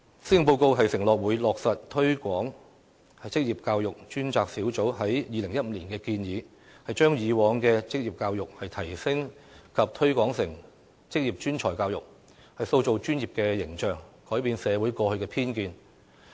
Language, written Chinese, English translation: Cantonese, 施政報告承諾會落實推廣職業教育專責小組在2015年的建議，把以往的職業教育提升及推廣成職業專才教育，塑造專業的形象，改變社會過去的偏見。, The Policy Address undertakes that the Government will implement the recommendations made by the Task Force on Promotion of Vocational Education in 2015 for upgrading and promoting the existing vocational education to VPET creating a professional image for it and removing the existing bias in society